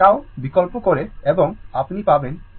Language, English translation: Bengali, Substitute tau and you will get e to the power minus 2000 t